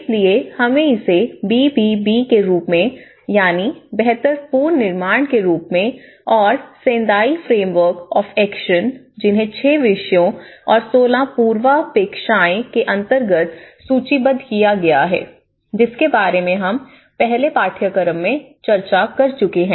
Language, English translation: Hindi, So, this is how we call it as BBB build back better and in Sendai Framework of action which we already discussed about this in the earlier classes as well, there have been 16 prerequisites, which has been listed under the 6 themes